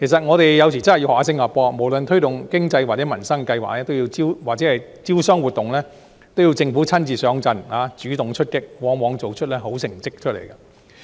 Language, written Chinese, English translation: Cantonese, 我們有時候真的要向新加坡學習，無論是推動經濟或民生計劃或招商活動，政府都會親自上陣，主動出擊，往往做出好成績。, There are times when we should really follow the example of Singapore which government is always hands - on and proactive in its approach to all undertakings be it economic stimulation livelihood initiatives or investment promotion activities invariably with good results